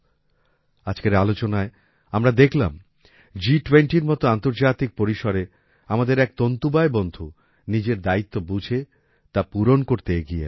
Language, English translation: Bengali, In today's discussion itself, we saw that in an international event like G20, one of our weaver companions understood his responsibility and came forward to fulfil it